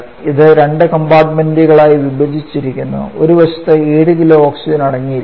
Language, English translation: Malayalam, It is divided into two compartments by partition 1 side content 7 kg of oxygen